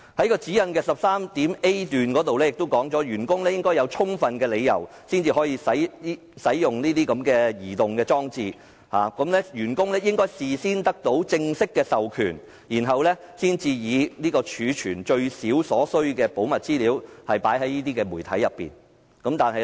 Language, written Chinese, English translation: Cantonese, 該指引第 10.3a 條亦訂明，員工應具有充分理由，才可使用這些流動裝置，並應事先得到正式授權，以儲存最少所需的保密資料到這些媒體為原則。, Article 10.3a of the Guidelines also states that staff should justify the need to use these devices seek proper authorization beforehand and abide by the principle of storing minimum required classified data to these devices